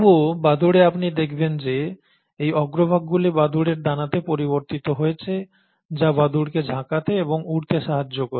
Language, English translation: Bengali, Yet, you find that in bats, you have these forelimbs modified into wings of bats, which allows the bats to flipper and fly